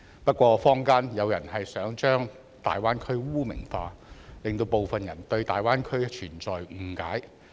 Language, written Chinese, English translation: Cantonese, 不過坊間有人想把大灣區污名化，令部分人對大灣區存在誤解。, Nevertheless certain people in the community are trying to stigmatize the Greater Bay Area which has caused misunderstanding of it among some people